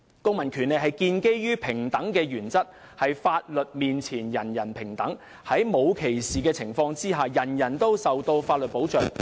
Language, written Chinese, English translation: Cantonese, 公民權利是建基於平等的原則，即"法律面前人人平等"，在沒有歧視的情況下，人人均受到法律保障。, Civil rights are based on the principle of equality that is everyone is equal before the law . In the absence of discrimination all people are protected by the law